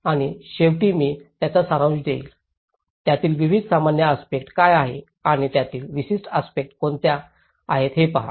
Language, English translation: Marathi, And finally, I will summarize it, see what are the various generic aspects of it and the specific aspects to it